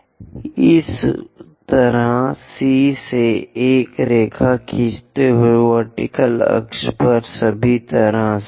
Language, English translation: Hindi, Similarly, from C to draw a line, all the way to vertical axis